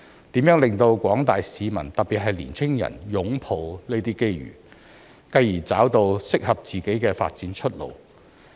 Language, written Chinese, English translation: Cantonese, 如何令廣大市民擁抱這些機遇，繼而找到適合自己的發展出路？, How can we enable members of the public especially young people to find suitable development pathways by embracing these opportunities?